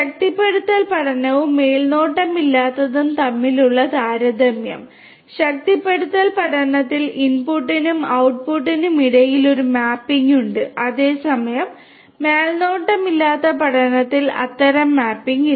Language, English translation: Malayalam, Comparison between the reinforcement learning and unsupervised; in reinforcement learning there is a mapping between the input and the output whereas, in unsupervised learning there is no such mapping